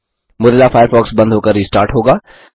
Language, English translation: Hindi, Mozilla Firefox will shut down and restart